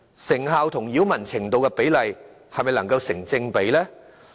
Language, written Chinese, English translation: Cantonese, 成效與擾民程度的比例是否成正比呢？, Will the results be in a proper proportion to the degree of nuisance thus caused?